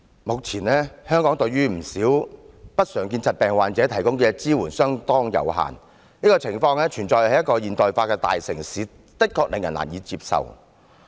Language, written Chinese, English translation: Cantonese, 目前，香港對不少不常見疾病的患者所提供的支援相當有限，這個情況存在於一個現代化的大城市，的確令人難以接受。, At present there is relatively limited support available to patients suffering from a number of uncommon diseases in Hong Kong . It is definitely unacceptable for such a situation to exist in a modernized city